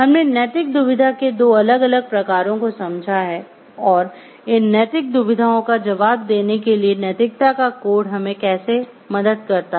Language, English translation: Hindi, We have understood the 2 different types of a ethical dilemma and how codes of ethics help us to answer these ethical dilemma